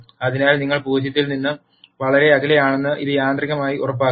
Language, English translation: Malayalam, So, it will automatically ensure that you do not go very far away from zero